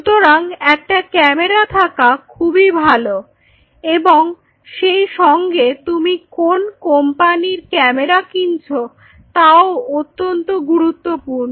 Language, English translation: Bengali, So, it is always a good idea to have the camera and with the camera also you have to be careful which company’s camera you are going to go through